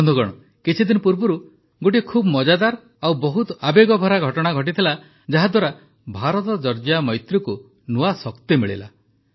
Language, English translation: Odia, Friends, a few days back a very interesting and very emotional event occurred, which imparted new strength to IndiaGeorgia friendship